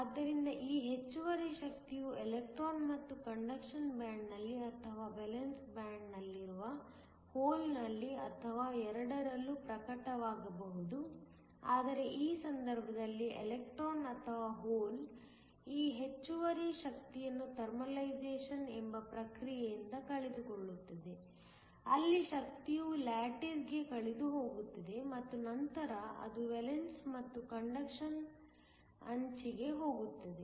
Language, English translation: Kannada, So, this excess energy can either be manifest in the electron and the conduction band or the hole in the valence band or both But in this case, the electron or the hole looses this excess energy by a process called Thermalization, where the energy is lost to the lattice and then it goes to the edge of the valence and the conduction band